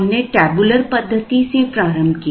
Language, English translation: Hindi, We started with the tabular method